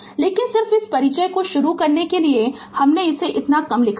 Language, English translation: Hindi, But just to just to start this introduction so little bit I wrote for you right